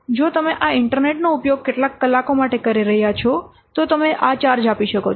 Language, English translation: Gujarati, If you are using this internet for some hours, you can give what is the charge